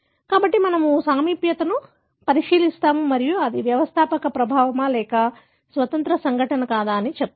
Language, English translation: Telugu, So, we look into the proximity and tell whether it is a founder effect or it could be an independent event